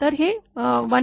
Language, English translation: Marathi, So, that is 1